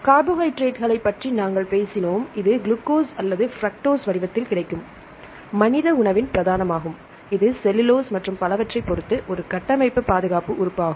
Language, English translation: Tamil, And we talked about the carbohydrates, it is the staple of the human diet, in the form of glucose or fructose, also is a structural protective element depending upon the linkage cellulose and so on